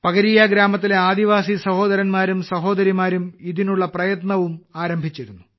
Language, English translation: Malayalam, Now I have come to know that the tribal brothers and sisters of Pakaria village have already started working on this